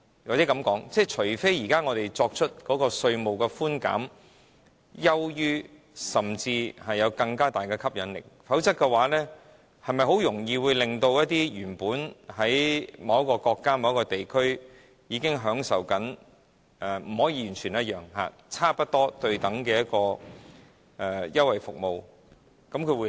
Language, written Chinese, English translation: Cantonese, 或許這樣說，除非本港現時的稅務寬減優於他們，甚至有更大吸引力，否則，是否很容易吸引到一些原本在其他國家、地區經營而正享受到並非完全相同但差不多對等的稅務優惠來香港呢？, Unless Hong Kong can offer more favourable and even more attractive concessions I will doubt if we can easily attract these companies to move their businesses to Hong Kong provided that they are enjoying similar if not completely equivalent concessions in other countries or regions